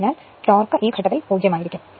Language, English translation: Malayalam, So, when this is your torque is 0 at this point